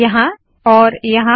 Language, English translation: Hindi, Here and here